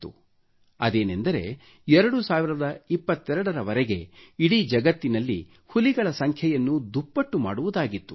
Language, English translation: Kannada, It was resolved to double the number of tigers worldwide by 2022